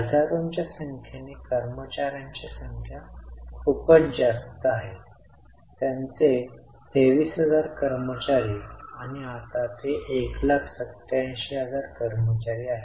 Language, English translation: Marathi, The number of employees are pretty high in terms of thousands, so it is 23,000 employees and now it is 187,000 employees